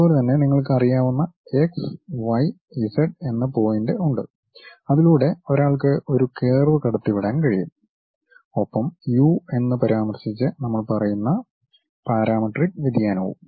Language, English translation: Malayalam, In the same way you have any point x, y, z where you have information maybe one can pass a curve through that and that parametric variation what we are saying referring to u